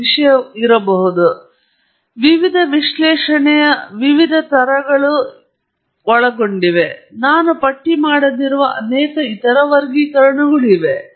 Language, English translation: Kannada, So, obviously, there is a whole host of different types of analysis that are involved and there are many other classifications that I have not listed